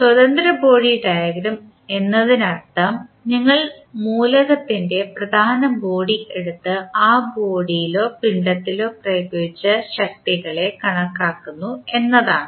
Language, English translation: Malayalam, Free body diagram means you just take the main body of the element and show the forces applied on that particular body or mass